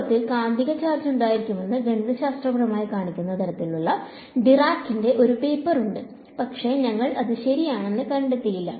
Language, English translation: Malayalam, In fact, there is a paper by I think Dirac which says sort of mathematically shows that there should be a magnetic charge, but we have not found it ok